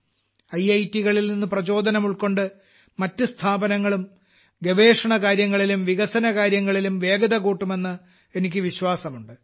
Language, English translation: Malayalam, I also hope that taking inspiration from IITs, other institutions will also step up their R&D activities